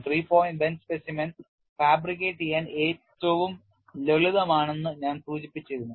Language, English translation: Malayalam, We have also seen a three point bend specimen and I had mentioned three point bend specimen is the simplest to one to fabricate